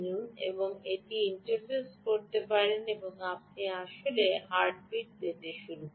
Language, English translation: Bengali, you can interface it and you will start getting heartbeat quite actually